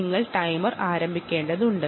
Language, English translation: Malayalam, and why do you need the timer